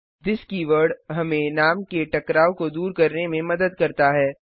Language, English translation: Hindi, this keyword helps us to avoid name conflicts